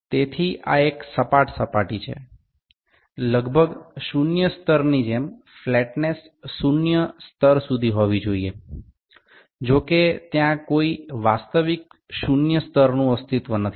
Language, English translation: Gujarati, So, this is a flat surface the flatness has to be up to zero level like approximately zero levels; however, there is no zero actual zero level that exists